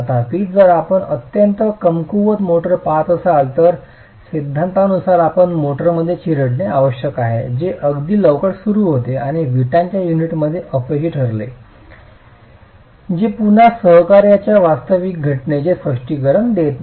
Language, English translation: Marathi, However, if you are looking at very weak motors, then as per this theory, you should have crushing in the motor that happens quite early on and the failure in the brick unit that happens after, which again does not really explain the physical phenomenon of co action between the two